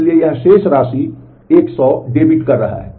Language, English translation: Hindi, So, it is debiting 100 from the balance